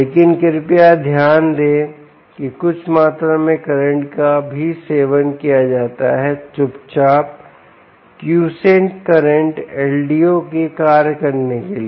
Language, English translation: Hindi, but please note, some amount of current is also consumed quietly, quiescent current for the l d o to function